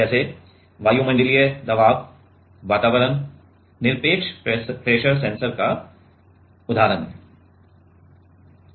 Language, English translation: Hindi, Like atmospheric pressure environment is example, of absolute pressure sensor